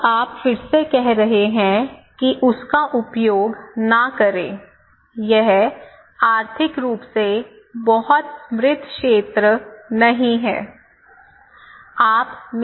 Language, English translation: Hindi, Now, you are again saying that do not use that one, where should I go; it is not a very prosperous area economically